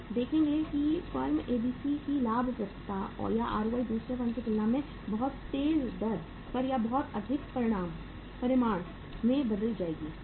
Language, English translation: Hindi, We will see that profitability or the ROI in the firm ABC will be changed at a much faster rate or in a much bigger magnitude as compared to the second firm